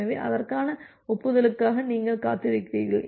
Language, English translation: Tamil, So, you are waiting for the corresponding acknowledgement